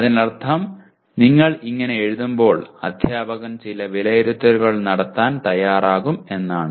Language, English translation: Malayalam, That means I am willing to that is when you write like this, the teacher is willing to have some assessments